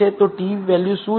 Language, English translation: Gujarati, So, what is t value